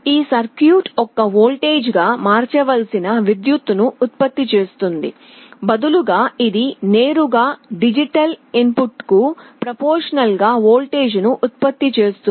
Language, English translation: Telugu, It is not that this circuit generates a current that has to be converted to a voltage; rather it directly produces a voltage proportional to the digital input